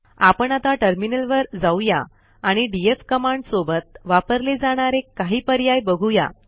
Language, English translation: Marathi, Let us shift to the terminal, I shall show you a few useful options used with the df command